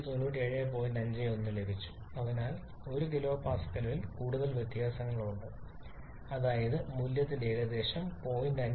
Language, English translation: Malayalam, 51 so there is a difference of more than 1 kilopascal that is about 05% error in the value